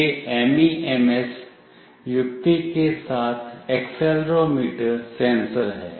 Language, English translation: Hindi, This is the accelerometer sensor with MEMS mechanism